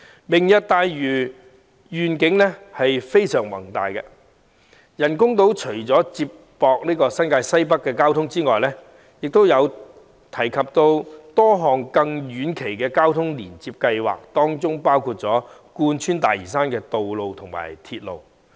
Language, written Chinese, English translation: Cantonese, "明日大嶼"的願景非常宏大，除了接駁新界西北交通的人工島外，亦提出多項遠期交通連接計劃，當中包括貫穿大嶼山的道路和鐵路。, Shaped by a grand vision Lantau Tomorrow has proposed in addition to the artificial islands connecting to the transport network of Northwest New Territories a number of long - term transport connectivity plans which include roads and railways running through Lantau